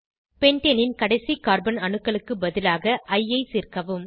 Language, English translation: Tamil, Replace the terminal Carbon atoms of Pentane with I